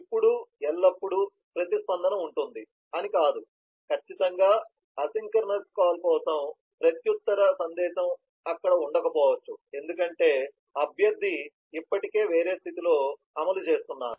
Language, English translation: Telugu, now, it is not that always there will be response, certainly for example, for a synchronous call, the reply message may not be there because the requestor is already executing in some other state